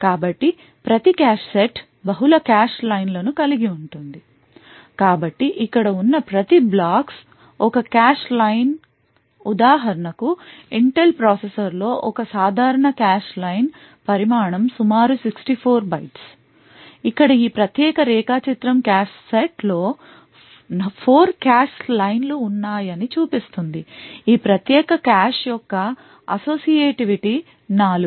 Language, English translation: Telugu, So, each cache set could hold multiple cache lines so each of these blocks over here is a cache line a typical cache line size in an Intel processor for instance is around is 64 bytes this particular diagram over here shows that there are 4 cache lines present in a cache set therefore the associativity of this particular cache is four